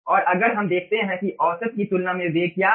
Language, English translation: Hindi, if we see that, what is the velocity